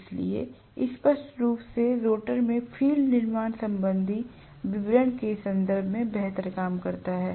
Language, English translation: Hindi, So, obviously field in the rotor works better in terms of the constructional, you know, details